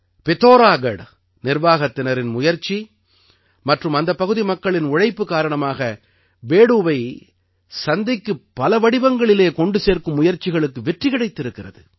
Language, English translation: Tamil, With the initiative of the Pithoragarh administration and the cooperation of the local people, it has been successful in bringing Bedu to the market in different forms